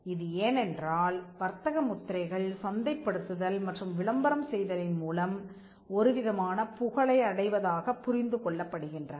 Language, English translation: Tamil, Now, this is because trademarks are understood to have developed some kind of reputation by advertising and by marketing